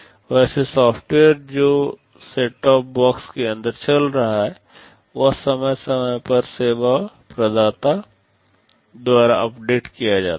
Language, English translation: Hindi, Well the software that is running inside the set top box also gets periodically updated by the service provider